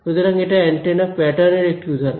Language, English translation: Bengali, So, that is an example of an antenna pattern